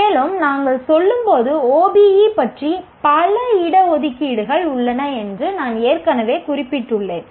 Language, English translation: Tamil, And as we were going through, I already mentioned there are many reservations about OBE